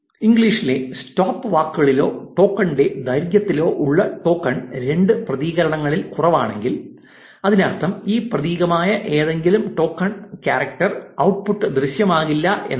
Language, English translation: Malayalam, Say if token in english stopwords or length of token is less than two characters which means any token which is one character will not appear in the output